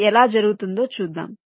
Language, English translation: Telugu, well, lets see how it is done